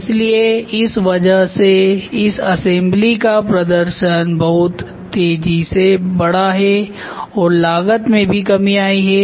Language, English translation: Hindi, So, because of this what is happening the performance of this assembly gets enhanced very fast and the cost also slash down